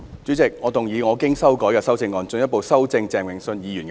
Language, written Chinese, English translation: Cantonese, 主席，我動議我經修改的修正案，進一步修正鄭泳舜議員的議案。, President I move that Mr Vincent CHENGs motion be further amended by my revised amendment